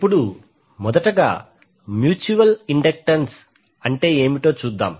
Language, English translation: Telugu, So now let us see first what is the mutual inductance